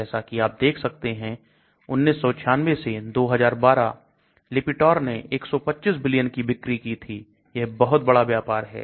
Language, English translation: Hindi, As you can see 1996 to 2012, Lipitor made 125 billion sales that is a huge deal and business